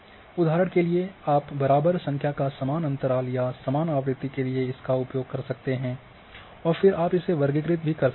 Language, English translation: Hindi, For example, you can use equal number equal interval or equal frequency and then you can classify